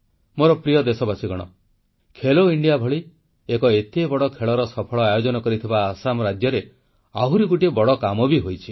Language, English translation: Odia, My dear countrymen, Assam, which hosted the grand 'Khelo India' games successfully, was witness to another great achievement